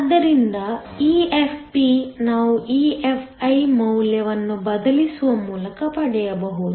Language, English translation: Kannada, So EFp, we can get by substituting the value of EFi